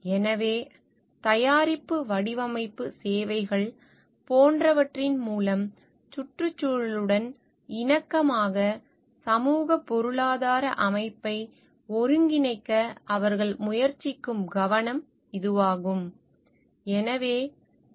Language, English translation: Tamil, So, this is the focus where they try to like integrate the socioeconomic system in the harmony with the environment through the product design services etcetera